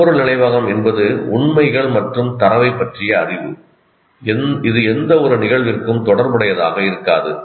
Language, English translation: Tamil, Whereas semantic memory is knowledge of facts and data that may not be related to any event